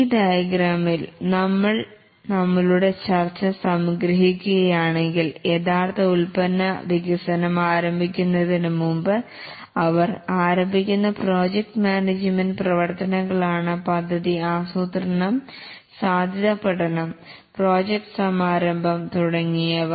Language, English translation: Malayalam, If we summarize our discussion here in this diagram, it is that the project management activities, they start much before the actual product development starts, and that is the project planning, the feasibility study, the project initiation and so on